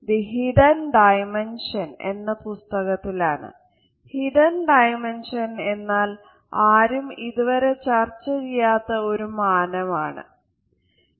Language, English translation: Malayalam, The Hidden Dimension is in fact, the dimension which is never talked about specifically by anybody